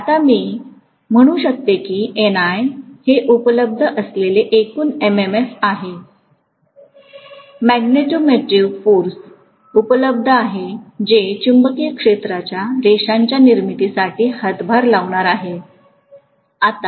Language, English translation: Marathi, Now I can say that NI is the total MMF available, magneto motive force available which is going to contribute towards producing the magnetic field lines